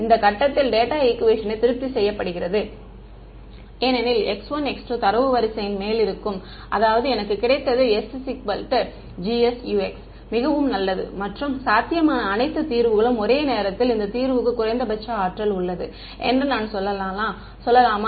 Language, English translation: Tamil, At this point the data equation is being satisfied because x 1 x 2 lie on the data line; that means, I have got s is equal to G S Ux very good and at the same time of all possible solutions can I say that this solution has the minimum energy